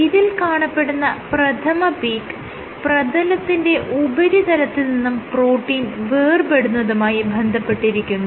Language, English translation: Malayalam, So, I said that this first peak is associated with Detachment of protein from surface from the surface